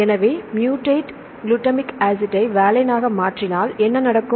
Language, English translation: Tamil, So, if you convert mutate glutamic acid to valine what will happen